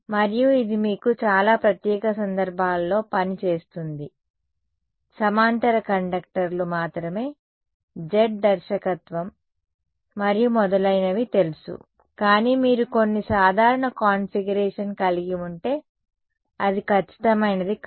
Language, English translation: Telugu, And, that that works for very special cases of you know parallel conductors only Z directed and so on, but if you have some general configuration it is not accurate